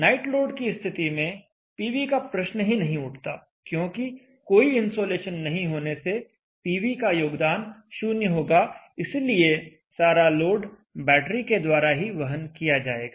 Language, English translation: Hindi, The night load PV is out of the picture there is no insulation PV does not contribute anything the entire load is supported by the battery